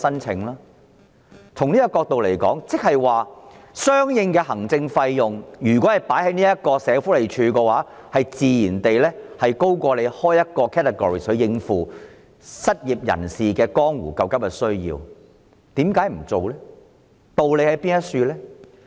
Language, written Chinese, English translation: Cantonese, 從類別角度來說，相應用於社署的行政費，自然高於新增一個類別來處理失業人士江湖救急需要所耗用的行政費。, In terms of administrative cost it is more expensive to process the unemployment assistance applications by SWD than creating a new category to deal with the applications